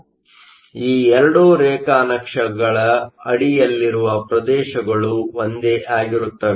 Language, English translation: Kannada, So, the areas under these 2 graphs are the same